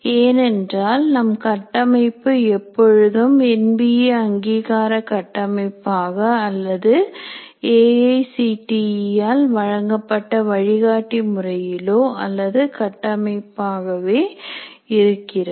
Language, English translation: Tamil, Because our framework is always the NBA accreditation framework or the guidelines provided by are a framework provided by A